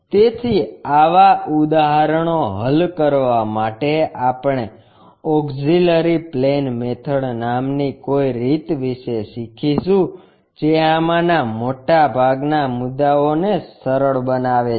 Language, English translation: Gujarati, So, to do such kind of problems, we have to learn about something named auxiliary plane methods that simplifies most of these issues